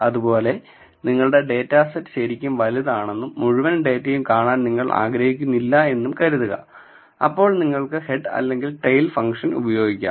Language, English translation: Malayalam, So, say suppose if your data is really huge and you do not want to view the entire data then we can use head or tail function